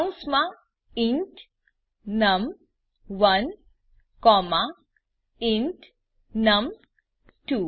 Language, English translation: Gujarati, Within parentheses int num1 comma int num2